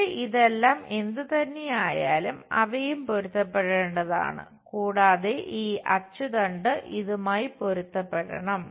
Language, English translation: Malayalam, And here whatever this whole thing, they are also supposed to get matched, and this axis line supposed to match this